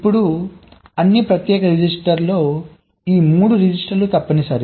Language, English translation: Telugu, now, among the special registers, these three registers are mandatory